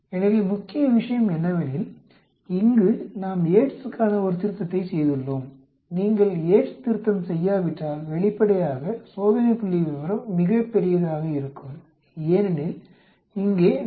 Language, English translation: Tamil, So, the main thing is here, we have done a correction for Yate’s, if you do not do a Yate’s correction, obviously, the test statistics will come out to be much larger because here, we have subtracted 0